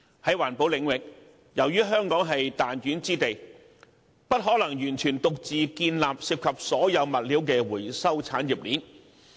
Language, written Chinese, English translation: Cantonese, 在環保領域，由於香港是彈丸之地，不可能完全獨自建立涉及所有物料的回收產業鏈。, Regarding environmental protection owing to the tiny geographical size Hong Kong cannot possibly build a recycling chain covering all materials completely on its own